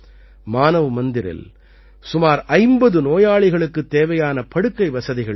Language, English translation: Tamil, Manav Mandir also has the facility of beds for about 50 patients